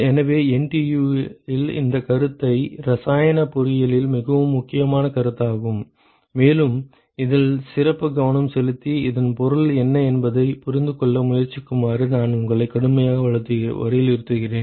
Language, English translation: Tamil, So, NTU this concept is an extremely important concept in chemical engineering and I would strongly urge you to pay special attention to this and try to understand what this means